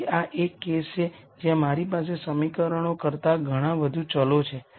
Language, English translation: Gujarati, So, this is a case where I have a lot more variables than equations